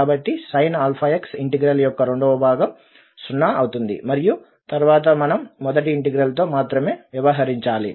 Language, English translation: Telugu, So the second part of the integral with the sin alpha x will become 0 and then we have to deal only with the first integral